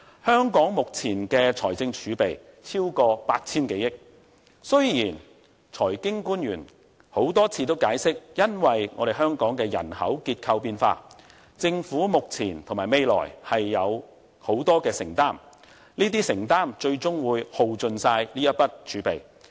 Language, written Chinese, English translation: Cantonese, 香港目前的財政儲備超過 8,000 多億元，雖然財經官員多次解釋基於香港人口結構變化，政府目前和未來有很大的承擔，這些承擔最終會耗盡這筆儲備。, The present fiscal reserves of Hong Kong are over 800 billion . Our financial officials have of course explained over and over again that due to the changes in Hong Kongs demographic structure the Governments financial burden is and will be very heavy and this will ultimately use up the reserves